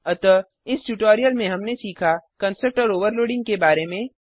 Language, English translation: Hindi, So in this tutorial, we have learnt About the constructor overloading